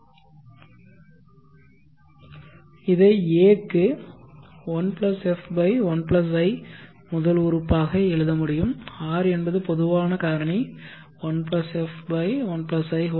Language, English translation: Tamil, And this can be written as A is 1+F/1+I which is the first term R is the common factor (1+F/1+I)n